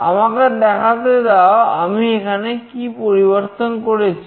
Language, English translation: Bengali, Let me let me show you, what change I have done here